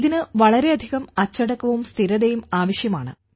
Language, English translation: Malayalam, This will require a lot of discipline and consistency